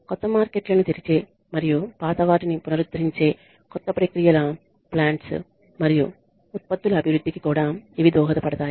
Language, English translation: Telugu, They also facilitate the development of new processes plants and products that open new markets and restore old ones